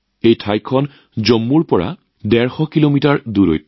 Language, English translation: Assamese, This place is a 150 kilometers away from Jammu